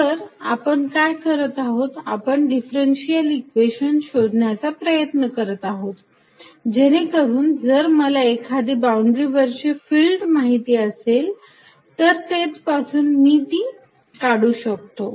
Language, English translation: Marathi, So, what we are doing is we are trying to find a differential equation, so that if I know field on a certain boundary, in a certain region I can build it up from there